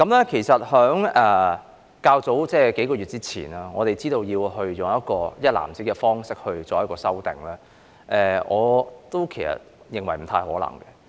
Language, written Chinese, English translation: Cantonese, 在數個月前，我們得知要採用"一籃子"的方式作出修訂，我認為不太可能。, A few months ago we learnt that the amendments would be made in a single consolidated Bill . I considered it not quite possible